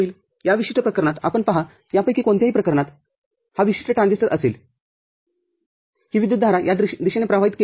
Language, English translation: Marathi, In this particular case you see for any of these cases, any of these cases this particular transistor will be this current will be drawn in this direction